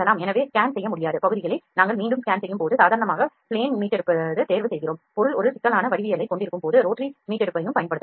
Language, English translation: Tamil, So, when we are re scanning the areas which could not be scanned see we choose normally Plane rescanning, when object has a complex geometry we can even use the rotary rescanning